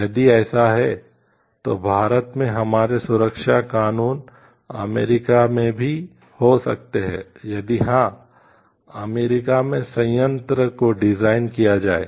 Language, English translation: Hindi, If it is so like may be our safety laws in India as frequency US if he has designed the plant as in US